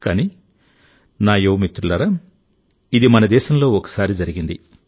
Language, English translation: Telugu, But my young friends, this had happened once in our country